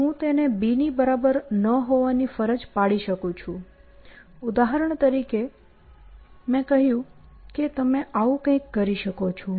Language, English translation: Gujarati, I can force it to be not equal to b; for example, I said you can do something like this